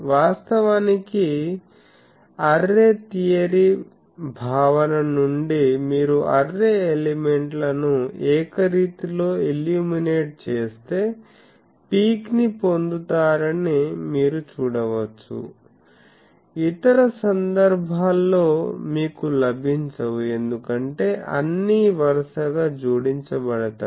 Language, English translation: Telugu, Actually, from array theory concept you can see that when we uniformly illuminate the array elements then also you get a peak; in other cases you do not get because all are consecutively added